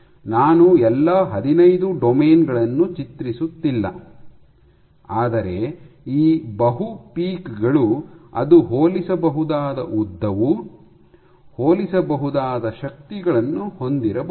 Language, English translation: Kannada, So, on and so 4th, I am not drawing all 15 domains, but you will have these multiple peaks, which might have comparable lengths, comparable forces so and so forth